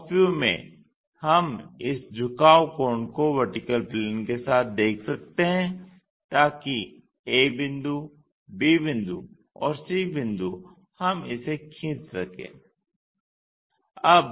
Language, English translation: Hindi, In top view we can observe this inclination angle with the vertical plane, so that a point, b point and c point we can draw it